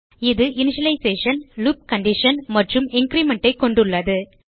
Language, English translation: Tamil, It consisits of initialization, loop condition and increment